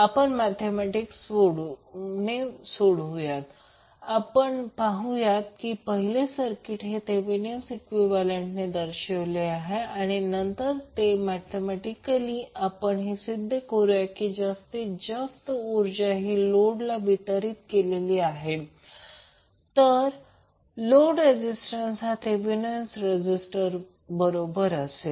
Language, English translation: Marathi, We solved mathematically and saw that the first the circuit is represented by its Thevenin equivalent and then mathematically we prove that maximum power would be deliver to the load, if load resistance is equal to Thevenin resistance